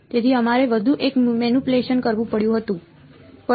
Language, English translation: Gujarati, So, we had to do one more manipulation and that was